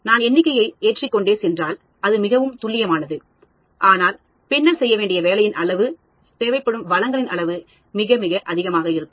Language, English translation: Tamil, If I go up and up, of course, it is more accurate, but then the amount of the work that needs to be done, amount of resources that is needed is going to be very high